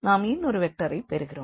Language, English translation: Tamil, So, we have these 4 4 vectors and 3 vectors